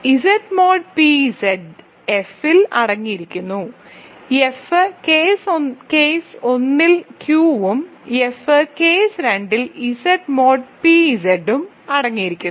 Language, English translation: Malayalam, So, Z mod p Z is contained in F, so F contains Q in case 1 and F contains Z mod p Z in case 2